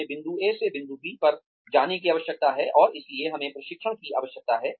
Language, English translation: Hindi, We need to go from point A to point B and, that is why, we need training